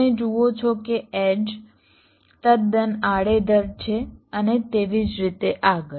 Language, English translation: Gujarati, you see that the edges are quite haphazard and so on